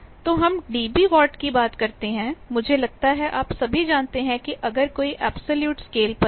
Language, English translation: Hindi, So, we talk of dB watt, I think all of you know that if there is an absolute scale of